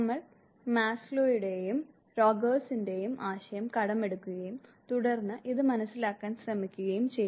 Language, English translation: Malayalam, We would be borrowing the concept of Maslow and Rogers and then trying to understand this